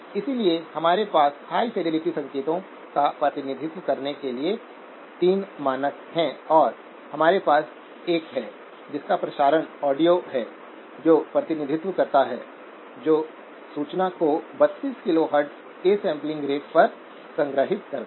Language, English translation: Hindi, So we have 3 standards for representing high fidelity signals and we have 1 which is broadcast audio which does the representation stores the information at a sampling rate of 32 kHz